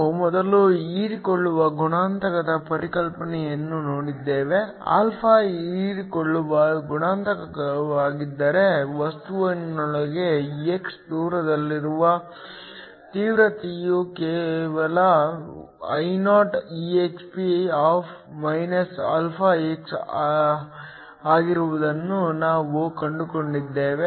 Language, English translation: Kannada, We have looked at the concept of absorption coefficient before, we find that if α is the absorption coefficient then the intensity at a distance x within the material was just Ioexp( αx)